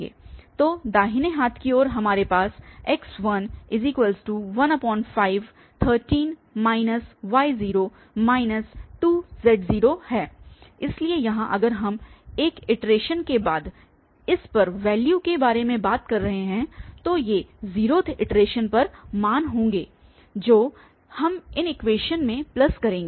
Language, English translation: Hindi, So, right hand side we have 13 there minus this y obviously at previous iteration, so here if we are talking about the values at this after one iteration then these will be the values at 0th iteration which we will plug into these equations